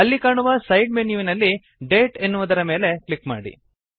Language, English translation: Kannada, In the side menu which appears, click on the Date option